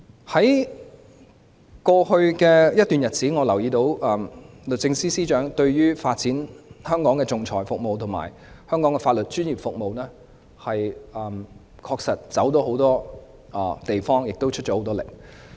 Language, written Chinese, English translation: Cantonese, 在過去一段日子，我留意到律政司司長為了發展香港的仲裁服務及香港的法律專業服務，確實走訪了很多地方，亦很努力。, I notice that the Secretary for Justice has over the past period of time really visited many places and made great efforts in promoting the arbitration services and legal professional services of Hong Kong